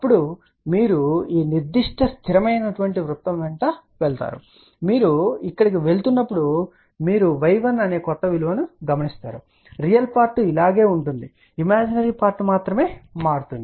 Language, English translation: Telugu, Then now you move along this particular constant circle and when you move along this here you can read the new value which is y 1 remember real part will be same as this imaginary part will only change